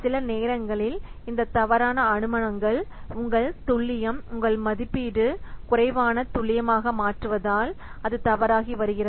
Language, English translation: Tamil, So sometimes due to wrong assumptions, your estimate, it becoming less accurate, it is becoming wrong